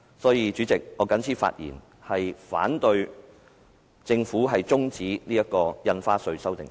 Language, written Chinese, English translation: Cantonese, 所以，主席，我謹此陳辭，反對政府中止審議《條例草案》。, For this reason Chairman I so submit and oppose the adjournment of the scrutiny of the Bill